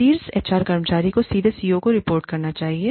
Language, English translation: Hindi, The top HR executive should report, directly to the CEO